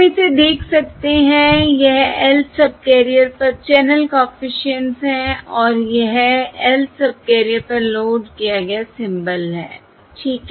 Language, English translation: Hindi, okay, So we can look at this: this is the channel coefficient on the Lth subcarrier and this is the symbol loaded onto the Lth subcarrier